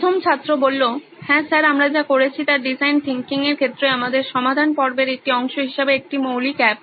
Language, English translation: Bengali, Yes sir, what we have built is a basic app as a part of our solution phase in design thinking